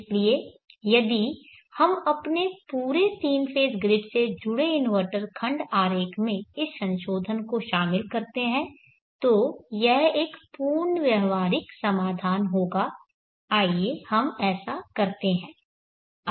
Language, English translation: Hindi, So if we incorporate this modification in to our entire 3 phase grid connected inverter block diagram then it will be a complete workable solution, let us do that